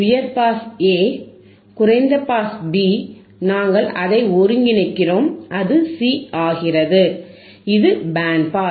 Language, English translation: Tamil, You see, high pass aA, low pass bB, we integrate it, we join it becomes C which is band pass